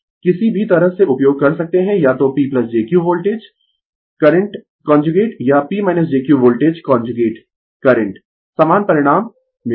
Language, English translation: Hindi, Either way you can use right either P plus jQ voltage into current conjugate or P minus jQ is equal to voltage conjugate into current, you will get the same result